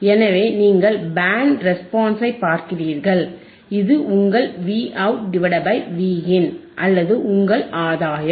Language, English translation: Tamil, sSo you see Band Response, this is your Vout by Vin or your gain; your gain or Vout by Vin